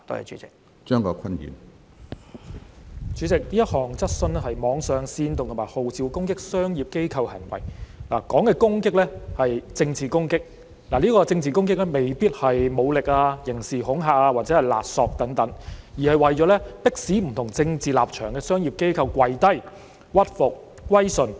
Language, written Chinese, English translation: Cantonese, 主席，這項質詢關乎網上煽動和號召攻擊商業機構行為，提到的攻擊是政治攻擊，政治攻擊未必是武力、刑事恐嚇或勒索等，而是為了迫使不同政治立場的商業機構"跪低"、屈服、歸順。, President this question is about online acts of inciting and calling on attacks against commercial organizations . The attacks mentioned are political attacks which may not necessarily involve force criminal intimidation or blackmail but are aiming at forcing business organizations with different political stances to kowtow submit and surrender